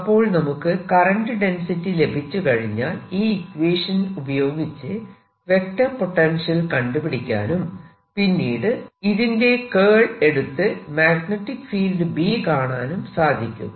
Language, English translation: Malayalam, once i know the current density, i can calculate from this the vector potential and taking its curl, i can always get my magnetic field